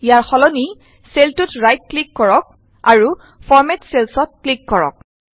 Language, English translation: Assamese, Alternately, right click on the cell and click on Format Cells